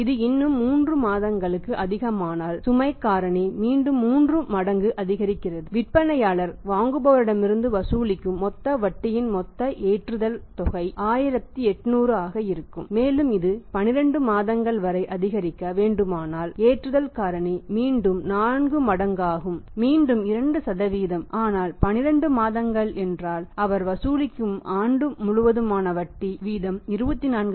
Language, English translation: Tamil, If it is becoming still further more by 3 months then the load factor become again 3 times that total loading amount of the total interest the seller will charge from the buyer will be 1800 and if it is to increase up to 12 months the loading factor will go up 4 times again 2% but 12 months it means for the whole of the year he is charging then interest at the rate of 24%